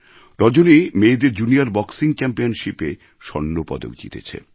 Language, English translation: Bengali, Rajani has won a gold medal at the Junior Women's Boxing Championship